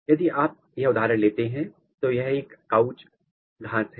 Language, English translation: Hindi, So, if you take this example this is couch grass